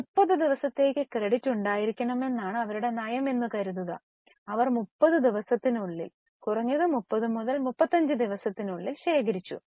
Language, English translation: Malayalam, Suppose their policy is to have credit for 30 days, they must have collected in 30 days, at least in 32, 35 days